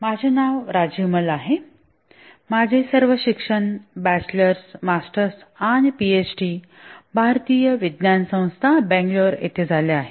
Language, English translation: Marathi, Did all my education, bachelor, masters and PhD from the Indian Institute of Science, Bangalore